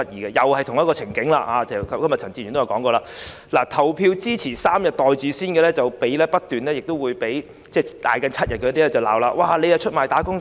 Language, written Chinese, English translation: Cantonese, 正如陳志全議員也提到，情景與現時一樣，投票支持3天"袋住先"的議員不斷被叫價7天的議員指責為出賣"打工仔"。, As Mr CHAN Chi - chuen said the situation then was the same as now . Members who voted for the three - day proposal were denounced as traitors to workers by Members who supported the seven - day proposal